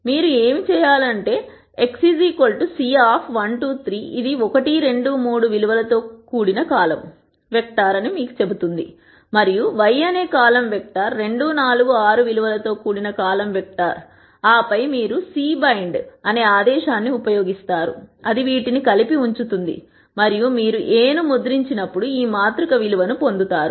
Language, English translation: Telugu, What you do is: X is c 1, 2, 3 it tells you it is a column vector with values 1, 2, 3 y is a column vector with values 2, 4, 6 and then you use the command A c by x, y which puts these together and when you print A you get the value of this matrix